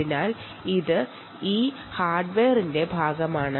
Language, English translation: Malayalam, so this is part of this hardware